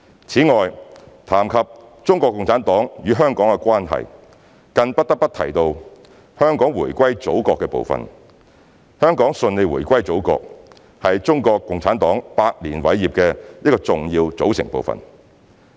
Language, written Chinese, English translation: Cantonese, 此外，談及中國共產黨與香港的關係，更不得不提到香港回歸祖國的部分。香港順利回歸祖國是中國共產黨百年偉業的一個重要組成部分。, When it comes to the relationship between CPC and Hong Kong one thing we must mention is the successful reunification of Hong Kong with the Motherland which is part and parcel of the great accomplishments of CPC in the past hundred years